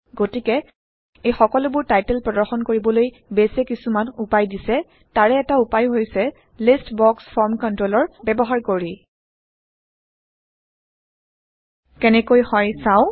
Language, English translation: Assamese, And so, to display these titles, Base provides some ways, and one of the ways is by using a List box form control